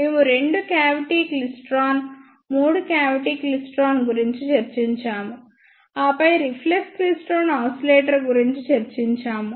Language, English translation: Telugu, We discussed two cavity klystron, three cavity klystron, and then we discussed reflex klystron ah oscillator